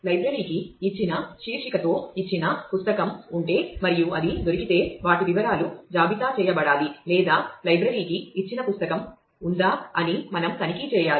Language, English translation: Telugu, If the library has a given book with a given title and if it is found then the details of those should be listed or we need to check if library has a book given it is author